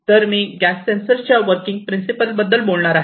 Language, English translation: Marathi, So, this is this MOS gas sensors working principle